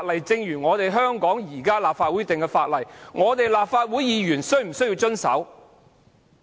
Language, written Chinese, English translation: Cantonese, 正如香港的立法會所制定的法例，立法會議員是否也須遵守？, Just as in the case of the laws enacted by the Legislative Council should Members not abide by such laws?